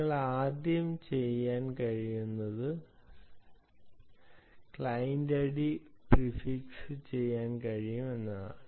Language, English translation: Malayalam, ok, first thing that you can do is you can do client id prefix